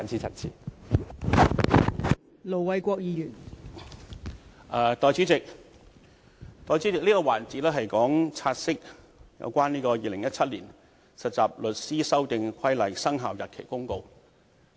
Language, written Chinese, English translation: Cantonese, 代理主席，這個環節是處理有關《〈2017年實習律師規則〉公告》的"察悉議案"。, Deputy President this session is to deal with the take - note motion on the Trainee Solicitors Amendment Rules 2017 Commencement Notice